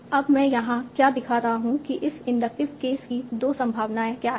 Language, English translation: Hindi, So now what I'm showing here, what are the two possibilities of this inductive case